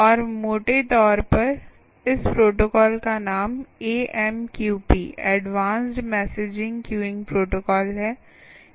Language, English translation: Hindi, the name of this protocol is a m q p advanced messaging queuing protocol, ah